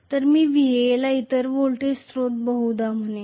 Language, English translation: Marathi, So, I will say VA, another voltage source probably